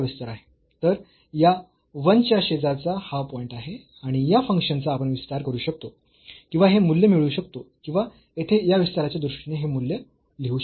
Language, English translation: Marathi, So, this is the point in the neighborhood of this 1 and we can expand this function or get this value or write down this value in terms of this expansion here